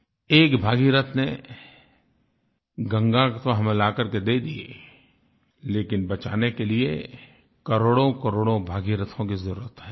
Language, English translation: Hindi, Bhagirath did bring down the river Ganga for us, but to save it, we need crores of Bhagiraths